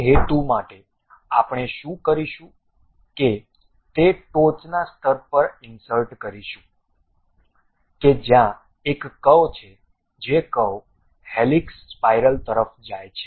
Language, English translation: Gujarati, For that purpose what we have to do go to insert on top level there is a curve in that curve go to helix spiral